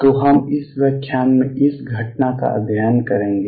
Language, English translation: Hindi, So, we will study this phenomena in this lecture